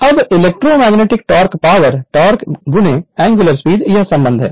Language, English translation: Hindi, Now electromagnetic torque you know power is equal to torque into angular speed, this relationship you know